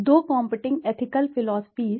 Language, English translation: Hindi, Two competing ethical philosophies